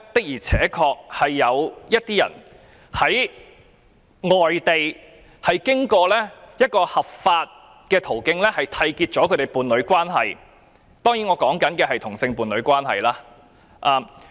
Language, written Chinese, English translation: Cantonese, 現時有些人在外地經過合法途徑締結伴侶關係，我當然是指同性伴侶關係。, Today some Hong Kong couples may have entered into partnership legally in other countries . Of course I mean same - sex partnership